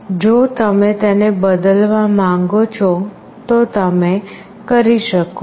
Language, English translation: Gujarati, If you want to change that you can do it